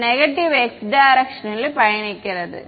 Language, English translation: Tamil, It is traveling in the minus x direction